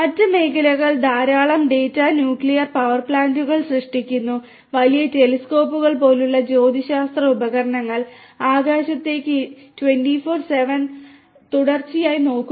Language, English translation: Malayalam, Other fields also generate lot of data nuclear power plants, astronomical devices such as big big telescopes, which look into the sky continuously 24x7